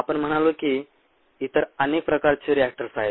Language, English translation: Marathi, we said there are many other kinds of reactors